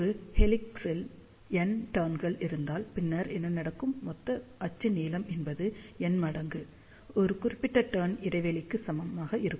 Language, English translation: Tamil, So, if there are n turns in an helix, then what will happen, total axial length will be equal to n times spacing between one particular turn